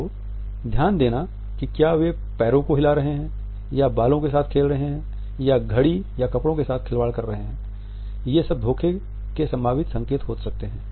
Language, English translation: Hindi, Are they shuffling the feet or playing with the hair or massing with the watch or clothing, all these could be potential signs of deceit